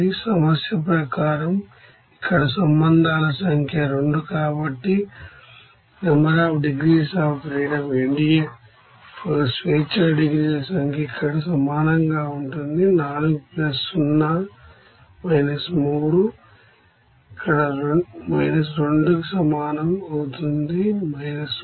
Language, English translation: Telugu, And the number of relations = 2 here as per problem therefore NDF number of degrees of freedom will be equals to here 4 + 0 – 3 here – 2 that will be equals to – 1